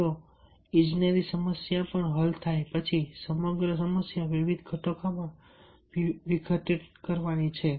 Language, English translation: Gujarati, if a engineering problem is solved, then the entire problem is to decomposed into various components